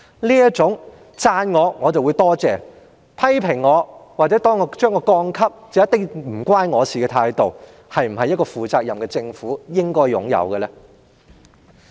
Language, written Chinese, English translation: Cantonese, 這種別人讚賞他便說多謝，但被批評或被調低評級便必然與他無關的態度，是否一個負責任的政府應有的態度？, They accept praises with gratitude but act indifferently when there are criticisms or the credit rating is being downgraded is this the kind of attitude that a responsible government should adopt?